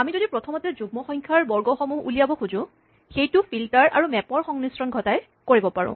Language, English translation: Assamese, If we want to first extract the squares of the even numbers, and that can be done using a combination of filter, and then, map